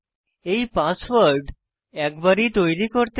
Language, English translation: Bengali, Remember you have to create this password only once